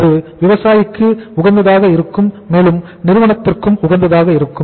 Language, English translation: Tamil, That remains optimum for the farmer also and for the company also